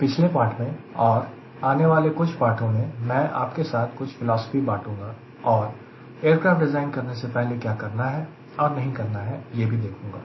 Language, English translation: Hindi, in the last lecture, and also in coming few lectures, i will be just sharing few philosophy, few do's and don'ts before we start rigorously following a procedure to design an aircraft